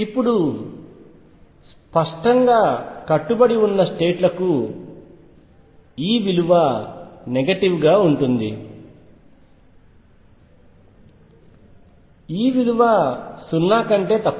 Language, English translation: Telugu, Now obviously, for bound states is going to be negative, E is less than 0